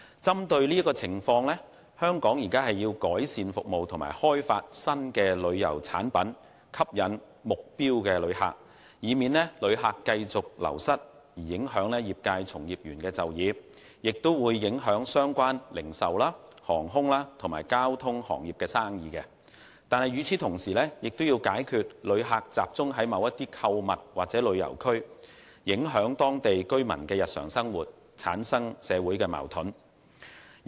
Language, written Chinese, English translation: Cantonese, 針對這個情況，香港要改善服務及開發新旅遊產品吸引目標旅客，以免因旅客繼續流失而影響業界從業員就業，以及相關零售、航空及交通行業的業務；同時亦要解決旅客集中在某些地區購物或旅遊的問題，以防影響當地居民的日常生活，產生社會矛盾。, In view of this situation it is necessary for Hong Kong to improve services and develop new tourism products to attract target visitors . This would help prevent the continued loss of visitors from affecting the employment of practitioners in the industry and the businesses of related industries such as retail aviation and transport . Meanwhile the problems of visitors mainly go to certain districts for shopping and leisure travel should also be addressed so as to avoid affecting the daily life of local residents giving rise to social conflicts